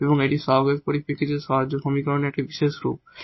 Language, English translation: Bengali, So, this is one kind of special kind of equation with non constant coefficients